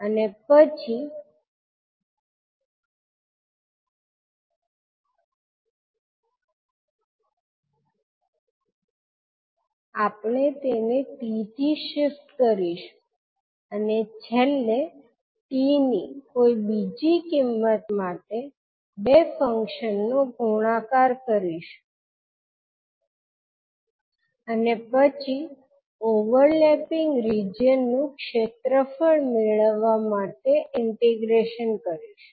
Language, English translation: Gujarati, And then we will shift by t and finally for different value for t we will now multiply the two functions and then integrate to determine the area of overlapping reasons